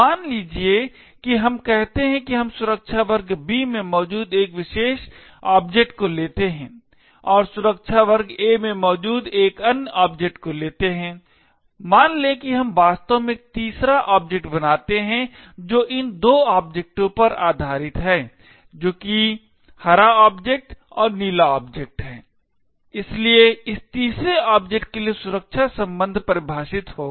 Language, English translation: Hindi, Suppose let us say that we take a particular object present in security class B and take another object present in security class A, suppose we actually create a third object which is based on these two objects that is the green object and the blue object, so the join relation would define the security class for this third object